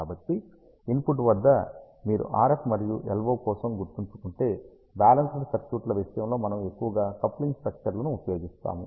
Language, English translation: Telugu, So, at the input if you remember for RF and LO, we mostly use a coupling structure in case of balanced circuits